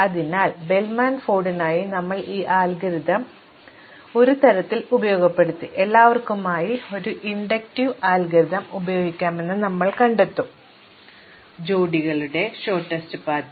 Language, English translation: Malayalam, So, we exploited this algorithm in one way for Bellman Ford and we will find that we can use it now for an inductive algorithm for all pairs shortest path